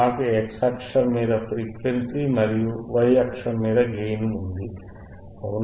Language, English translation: Telugu, I have the frequency on the y axis, sorry x axis and gain on the y axis, right